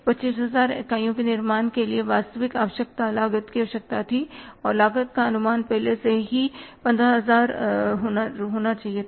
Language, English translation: Hindi, Actual requirement for manufacturing 25,000 units, the cost requirement was or the cost estimates should have been already 15,000